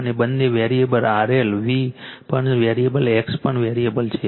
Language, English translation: Gujarati, And both variable R L V also variable X is also variable